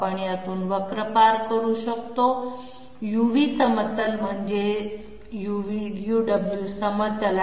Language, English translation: Marathi, We pass the curve through this in the UV plane I mean UW plane